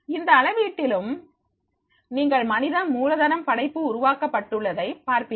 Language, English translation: Tamil, In that measurement also you will find that is the human capital creation has been chelom